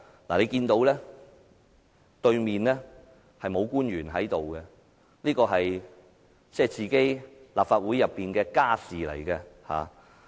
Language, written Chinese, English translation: Cantonese, 大家看到對面並無官員在席，因為這是立法會的"家事"。, There is no public officer on the other side of the Chamber as this is an family matter of the legislature